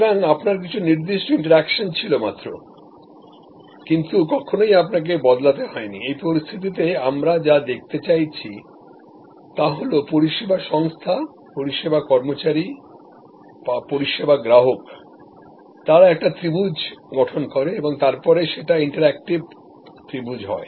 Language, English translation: Bengali, So, you had some define interaction, but you are not actually part of that employee shift, in this situation what we are looking at is that service organization, service employees, service consumers, they form a triangle and then interactive triangle